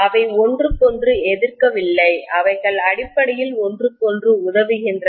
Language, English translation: Tamil, They are not opposing each other, they are essentially aiding each other